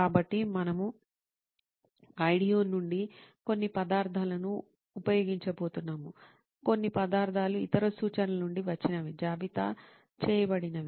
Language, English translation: Telugu, So we are going to use the some of the material from IDEO, some materials from other references that are listed as well